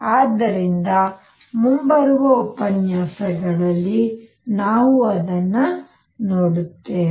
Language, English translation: Kannada, So, we will do that in coming lectures